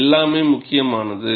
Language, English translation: Tamil, So, all that matters